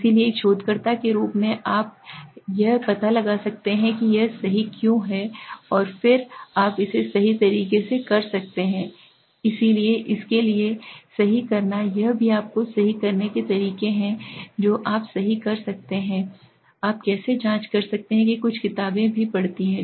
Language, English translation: Hindi, So as a researcher you can find out why it is right and then you can correct it, so correcting for that also you have to ways to correct so which you can do right, how do you can check that some books also study